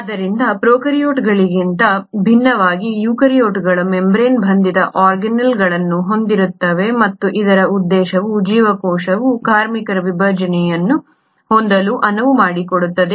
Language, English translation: Kannada, So the eukaryotes unlike the prokaryotes have membrane bound organelles, and the purpose is this allows the cell to have a division of labour